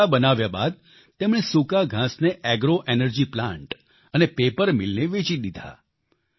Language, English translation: Gujarati, After having made the bundles, he sold the stubble to agro energy plants and paper mills